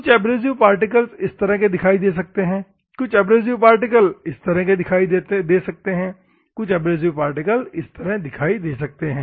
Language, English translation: Hindi, Some of the abrasive particles may be like this; some of the abrasive particles may be like this; some of the abrasive particles may be like this